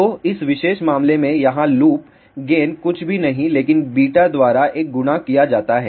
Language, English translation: Hindi, So, loop gain here in this particular case is nothing but a multiplied by beta